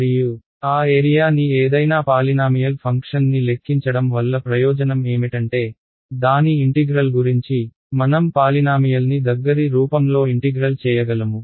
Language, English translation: Telugu, And, then compute the area any polynomial function the advantage is that what about its integral, I can integrate a polynomial in close form right